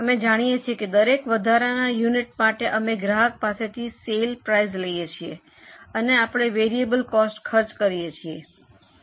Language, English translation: Gujarati, We know that for every extra unit we are able to recover certain sale price from the customer and we have to incur variable costs for it